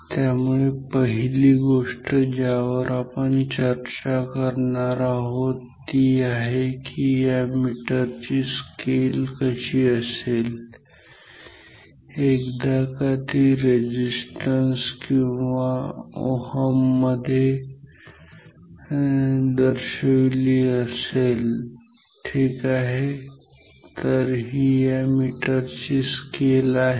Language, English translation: Marathi, So, first thing we will discuss is how would the scale of this meter look like once it is marked in terms of resistance or ohms ok; so, this scale of this meter